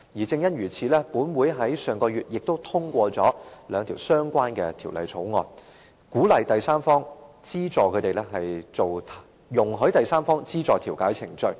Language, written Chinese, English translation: Cantonese, 正因如此，立法會上月亦都通過了兩項相關的條例草案，鼓勵和容許第三方資助調解程序。, To this end two relevant bills were passed in the Legislative Council last month to encourage and allow third party funding of mediation